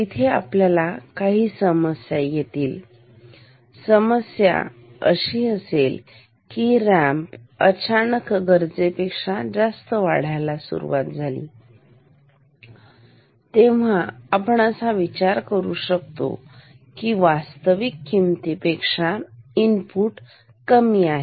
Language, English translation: Marathi, The problem is that, if suddenly the ramp say starts to increase faster than it is supposed to be, then we will think the input is smaller than the actual value